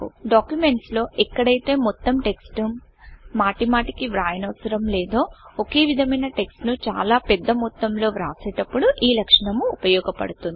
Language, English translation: Telugu, This feature is very useful while writing a large amount of similar text in documents, where you dont need to write the entire text repeatedly